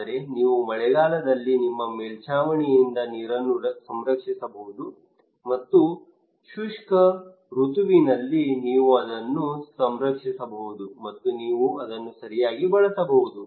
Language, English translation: Kannada, But you can just preserve the water from your rooftop during the rainy season, and you can preserve it for dry season, and you can use it okay